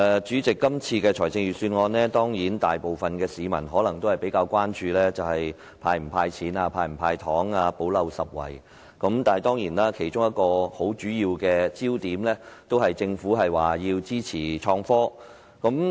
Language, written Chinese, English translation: Cantonese, 主席，關於今年的財政預算案，大部分市民可能比較關注的是會否"派錢"或"補漏拾遺"的方案，但其實其中一個很重要的焦點，是政府表示支持創新及科技。, Chairman with regard to this years Budget while most members of the public may probably be more concerned about the Governments proposal to hand out money or plug the gaps a very important focus of this Budget is actually the Governments indication of support for innovation and technology IT